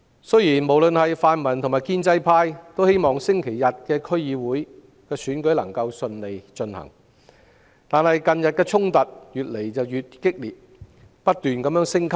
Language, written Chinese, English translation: Cantonese, 雖然泛民及建制派均希望星期日的區議會選舉能夠順利進行，但近日衝突越來越激烈，而且不斷升級。, Although both the pan - democratic and the pro - establishment camps hope that the DC Election can be held smoothly this Sunday conflicts have increasingly intensified and escalated these few days